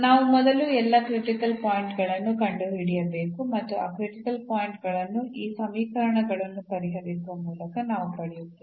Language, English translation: Kannada, So, we need to find first all the critical points and those critical points we will get by solving these equations